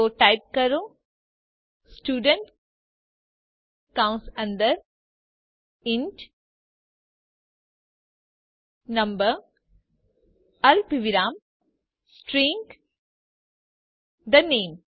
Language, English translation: Gujarati, So type, Student within parentheses int number comma String the name